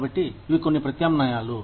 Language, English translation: Telugu, So, these are, some of the alternatives